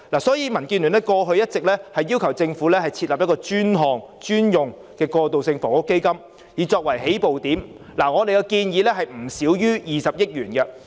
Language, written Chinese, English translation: Cantonese, 所以，民建聯過去一直要求政府以設立專項專用的"過渡性房屋基金"為起步，而我們建議的金額是不少於20億元。, In the worst circumstance they may not be given any subsidy . Therefore DAB has always been urging the Government to set up as a first step a dedicated Transitional Housing Fund . We suggest that this fund should be no less than 2 billion